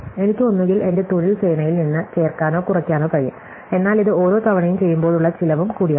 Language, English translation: Malayalam, I can either add or subtract from my work force, but this also comes with the cost each time I do it